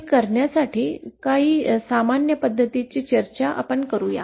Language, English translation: Marathi, Will discuss a few of the common ways to do this